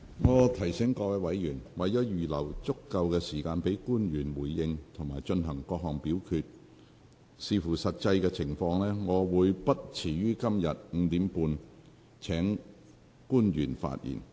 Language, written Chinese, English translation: Cantonese, 我提醒委員，為了預留足夠時間給官員回應及進行各項表決，視乎實際情況，我會不遲於今天5時30分請官員發言。, Let me remind Members that to allow sufficient time for the public officers to respond and for the questions to be voted on I will call upon the public officers to speak no later than 5col30 pm today depending on the actual situation